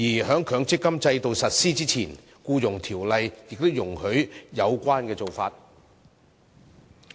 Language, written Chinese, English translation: Cantonese, 在強積金制度實施之前，《僱傭條例》亦容許有關做法。, Actually this practice was already allowed under EO prior to the implementation of the MPF System